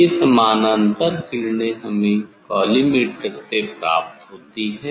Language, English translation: Hindi, this parallel rays we will get from the collimator